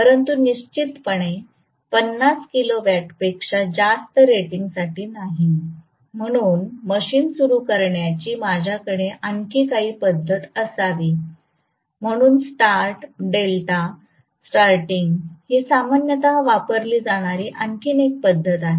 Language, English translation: Marathi, But definitely not for greater than 50 kilowatt rating right, so I should have some other method of starting a machine, so another method of starting which is very commonly used is star delta starting